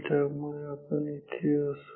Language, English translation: Marathi, So, we will be here